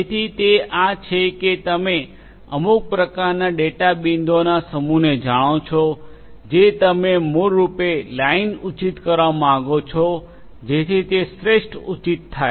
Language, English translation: Gujarati, So, it is some kind of you know given a set of data data points you want to basically fit line so that you know that will become the best fit right